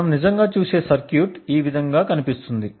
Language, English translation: Telugu, The circuit that we will actually look, looks something like this way